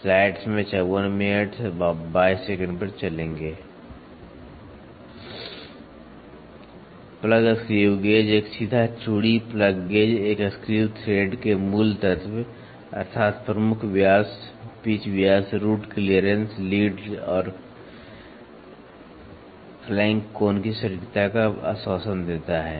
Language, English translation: Hindi, Plugs screw gauge a straight thread plug gauge assures the accuracy of the basic element of a screw thread, namely major diameter, pitch diameter, root clearance, lead and the flank angle